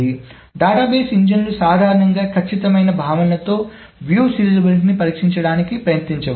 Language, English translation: Telugu, So the database engines generally do not try to test for views serializability in the exact notion